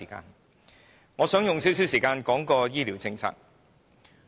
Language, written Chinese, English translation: Cantonese, 所以，我想花一點時間說醫療政策。, Therefore I wish to spending some time discussing health care policies